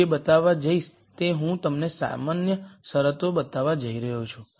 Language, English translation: Gujarati, What I am going to show is I am going to show you the general conditions